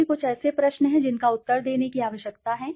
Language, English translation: Hindi, So, these are some of the questions one needs to answer